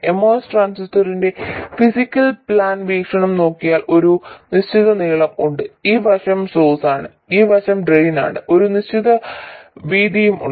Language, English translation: Malayalam, It turns out that if you look at the physical plan view of the most transistor, there is a certain length, this side is the source, this side is the drain and there is a certain width